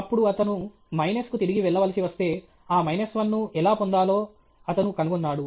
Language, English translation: Telugu, Then, he figured out if he has to go back to minus, how to get that minus 1